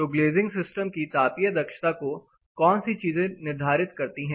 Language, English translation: Hindi, So, what determines the thermal efficiency of glazing system